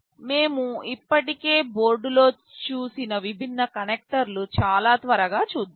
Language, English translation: Telugu, Let us have a very quick look at the different connectors that we have already seen in the board